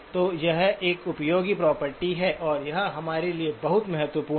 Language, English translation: Hindi, So it does have a useful property and that is very important for us